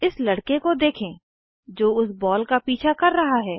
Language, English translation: Hindi, Watch this boy, who is chasing the ball